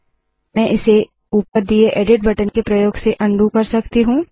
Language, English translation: Hindi, I can undo this operation, using the edit button at the top